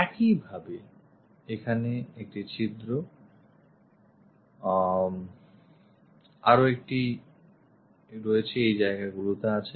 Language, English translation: Bengali, Similarly here one hole, one more at these locations